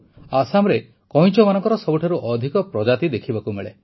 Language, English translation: Odia, Assam is home to the highest number of species of turtles